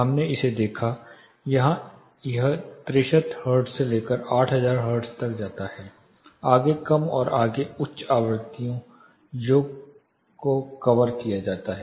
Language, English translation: Hindi, This we looked at here this covers from 63 hertz all the way up to 8000 hertz, further low and further high frequencies are not covered here